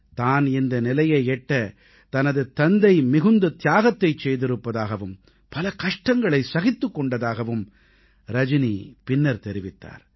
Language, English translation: Tamil, According to Rajani, her father has sacrificed a lot, undergone hardships to help her reach where she is